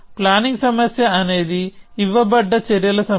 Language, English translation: Telugu, A planning problem is a given set of actions